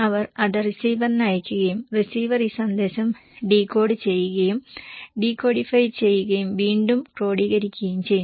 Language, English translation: Malayalam, They send it to the receiver and receiver also decode, decodify and recodify this message